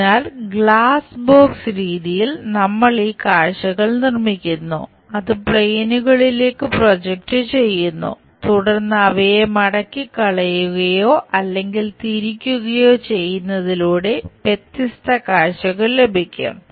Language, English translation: Malayalam, So, in glass box method, we construct these views, project it onto the planes, then fold them or perhaps rotate them so that different views, we will get